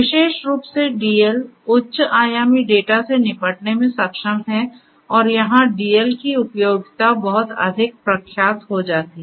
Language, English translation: Hindi, Particularly you know DL is able to deal with high dimensional data and that is where also you know DL becomes much more the use utility of DL becomes much more eminent